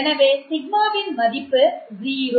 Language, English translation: Tamil, So you have a value of 0